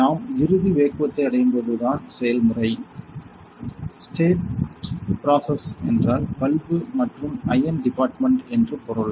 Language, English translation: Tamil, When we reach the ultimate vacuum just to this is the process; stat process means the bulb and the iron department